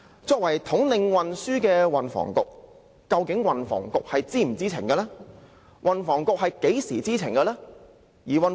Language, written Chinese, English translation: Cantonese, 作為統領運輸事務的運輸及房屋局，究竟是否知情呢？, Was the Transport and Housing Bureau which takes charge of transport affairs informed of the incidents?